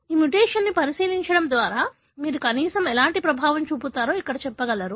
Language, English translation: Telugu, By looking into this mutationyou can say here at least what kind of effect you have